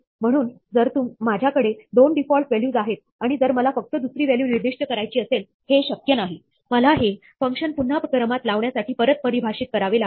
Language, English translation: Marathi, So, if I have 2 default values, and if I want to only specify the second of them, it is not possible; I will have to redefine the function to reorder it